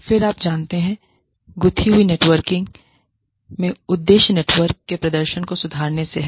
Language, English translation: Hindi, Then, you know, the aim in interwoven networking, is concerned with, improvement of the performance of the network